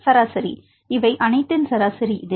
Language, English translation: Tamil, Is average of the all these this is a numbers